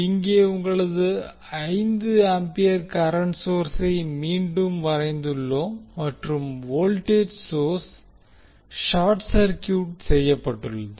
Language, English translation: Tamil, Here you have 5 ampere current source back in the circuit and the voltage source is short circuited